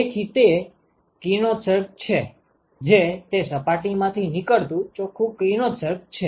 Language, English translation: Gujarati, So, that is the radiation that is net radiation emitted from that surface